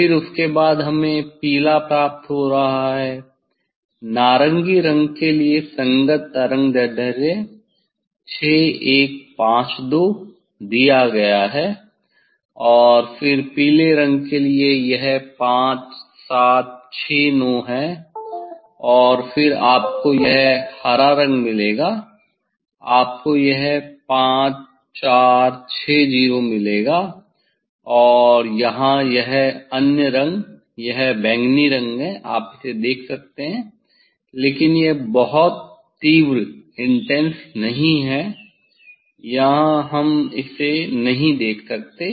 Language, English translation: Hindi, corresponding wave length is given for orange 6152 and then this for yellow is the 5769 and then you will get green you will get green this green you will gets this the 5460 and this other colour here violet is here you see but, it is the it is not very intense also here we cannot see